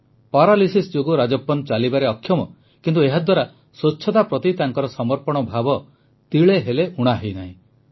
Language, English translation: Odia, Due to paralysis, Rajappan is incapable of walking, but this has not affected his commitment to cleanliness